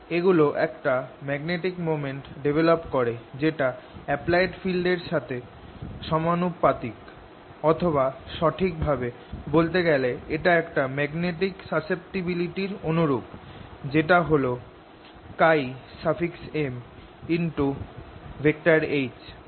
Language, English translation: Bengali, these are the ones that develop a magnetic moment proportional to the applied field, or, to define it very precisely, this becomes equal to a magnetic susceptibility: chi m times h